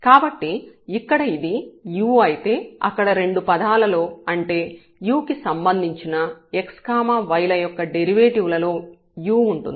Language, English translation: Telugu, So, if it is u here it will be u there in both the terms here with respect to u of the derivatives x and y